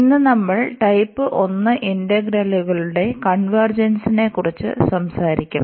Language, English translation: Malayalam, And today we will be talking about the convergence of type 1 integrals